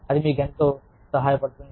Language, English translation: Telugu, That, will help you tremendously